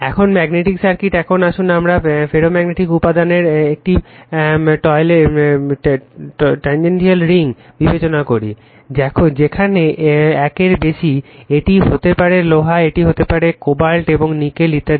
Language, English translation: Bengali, Now, magnetic circuits, now, you consider let us consider a toroidal ring of ferromagnetic material, where mu greater than 1, it maybe iron, it maybe cobalt, and nickel etc right